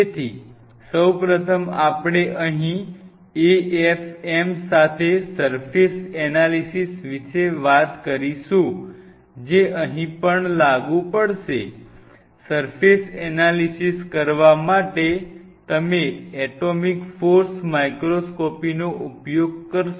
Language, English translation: Gujarati, So, first of all we talked about surface analysis with an AFM here also that will apply, we will be using atomic force microscopy to analyze the surface